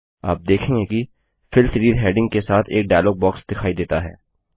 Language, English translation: Hindi, You see that a dialog box appears with the heading as Fill Series